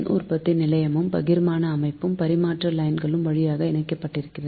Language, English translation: Tamil, so generating station and distribution system are connected through transmission lines